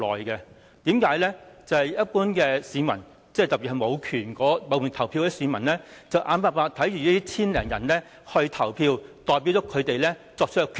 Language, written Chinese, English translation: Cantonese, 因為對於一般市民，特別是無權投票的市民，眼看這千多人投票，代表他們作出決定。, As to the common people in particular those who have no right to vote in this election can do nothing but to look on 1 000 - odd people to cast their votes on their behalf